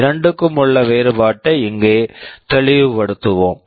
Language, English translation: Tamil, Let us make the distinction clear here